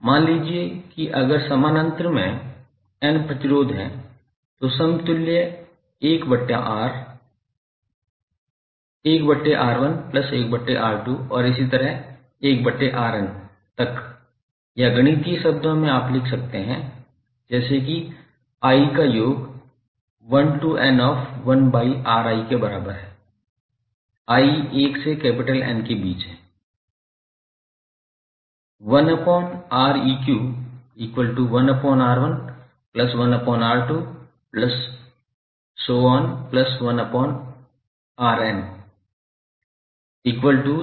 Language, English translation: Hindi, Suppose if there are n resistances in parallel then 1 upon R equivalent is nothing but 1 by R1 plus 1 by R2 and so on upto 1 by Rn or in mathematical terms you can write like summation of i is equal to 1 to N of 1 by Ri, i is ranging between 1 to N where N is number of elements that is number of resistors connected in parallel fashion